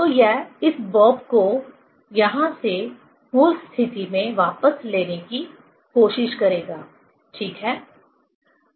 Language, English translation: Hindi, So, it will try to take back this bob from here to the original position, ok